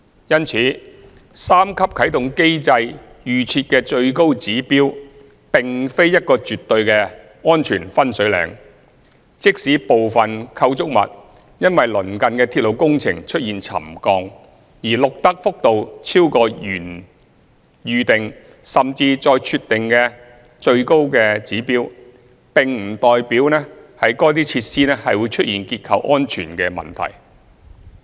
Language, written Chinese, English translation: Cantonese, 因此，三級啟動機制預設的最高指標，並非一個絕對的安全"分水嶺"，即使部分構築物因鄰近的鐵路工程出現沉降，而錄得幅度超過原預定，甚至再設定的最高指標，並不代表該設施會出現結構安全問題。, Hence the highest pre - set trigger level under the three - tier activation mechanism is by no means a watershed . Even if the settlement of some structures exceeds the highest pre - set trigger level due to the railway works nearby it does not mean that structural safety problems will appear